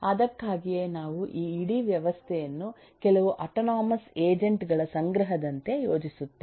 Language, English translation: Kannada, that is why we think of this whole whole system as if it’s a collection of certain autonomous agents